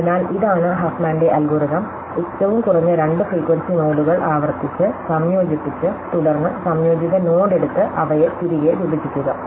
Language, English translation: Malayalam, So, this is HuffmanÕs algorithm and by recursively combining the two lowest frequency nodes, and then taking the composite node and splitting them back up to it is